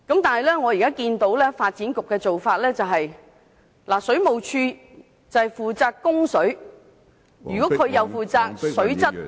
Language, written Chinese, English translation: Cantonese, 但是，目前發展局的做法，是由水務署負責供水，如水務署同時負責水質......, However under the current practice of the Bureau WSD is responsible for water supply . If WSD is at the same time responsible for water quality